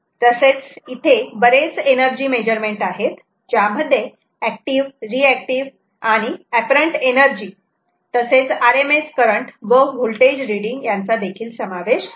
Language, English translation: Marathi, it provides a variety of energy measurements, including active, reactive and apparent energy, along with current and voltage r m s readings